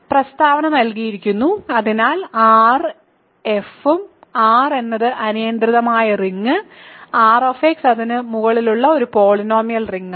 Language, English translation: Malayalam, So, the statement is given; so R and f are R is arbitrary ring R[x] is a polynomial ring over it